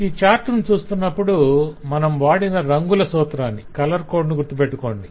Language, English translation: Telugu, in reading this chart you have to remember a basic color code